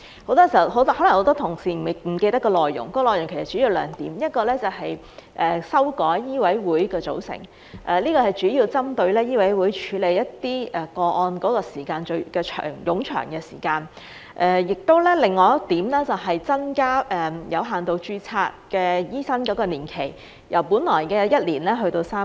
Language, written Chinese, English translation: Cantonese, 可能很多同事不記得有關內容，其實主要有兩點，其一是修改香港醫務委員會的組成，主要是針對醫委會處理一些個案的過程冗長；另一點是增加有限度註冊醫生的服務年期，由本來的1年延長至3年。, Many Members may not remember the content in fact there are two main points . One is to revise the composition of the Medical Council of Hong Kong MCHK mainly to address the lengthy process of MCHK in handling some cases; and the other is to increase the length of service of medical practitioners with limited registration from one year to three years